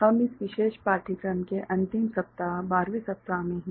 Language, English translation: Hindi, We are in week 12 the last week of this particular course